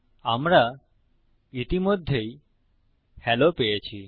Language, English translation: Bengali, Weve already got hello